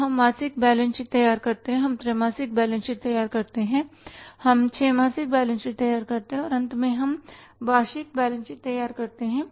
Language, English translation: Hindi, Now we prepare monthly balance sheets we prepare three monthly balance sheets we prepare six monthly balance sheets and finally we prepare the annual balance sheets